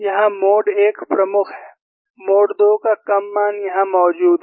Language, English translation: Hindi, Here mode 1 is predominant, that is small value of mode 2 is present